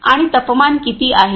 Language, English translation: Marathi, And how much is the temperature